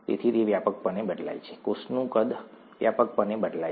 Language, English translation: Gujarati, So it widely varies, the cell size widely varies